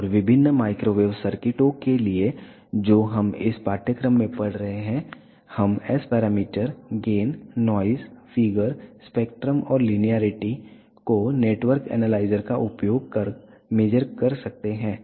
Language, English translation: Hindi, And for different microwave circuits that we have been studying in this course we can measure the S parameters, the gains, the noise figure, the linearity using spectrum and network analyzes